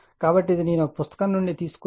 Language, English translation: Telugu, So, this is I have taken from a book, right